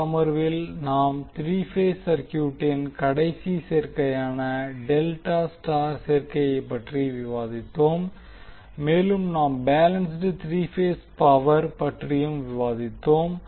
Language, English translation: Tamil, In this session we discussed about the last combination that is delta star combination for the three phase circuit and also discussed about the balanced three phase power